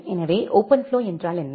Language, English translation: Tamil, So, what is OpenFlow